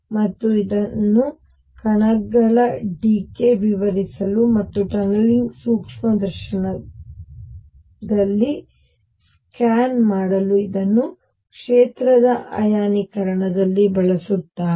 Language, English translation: Kannada, And this has been used to explain alpha particle decay and to make scan in tunneling microscope use it in field ionization and so on